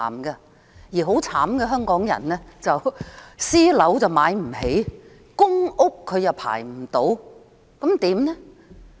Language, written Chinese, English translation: Cantonese, 至於淒慘的香港人，既買不起私樓，又輪候不到公屋。, What a pity to the people of Hong Kong who can neither afford buying private housing nor being allocated public rental housing